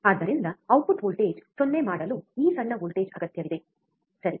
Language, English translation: Kannada, So, this small voltage which is required to make to make the output voltage 0, right